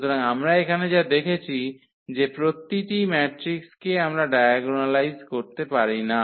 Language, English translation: Bengali, So, what we have seen here that every matrix we cannot diagonalize